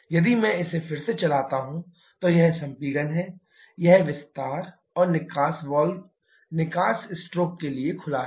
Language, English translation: Hindi, If, I run it again, so, this is compression, this expansion and exhaust valve is open to exhaust stroke